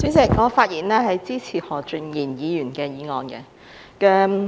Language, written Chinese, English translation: Cantonese, 主席，我發言支持何俊賢議員的議案。, President I rise to speak in support of the motion moved by Mr Steven HO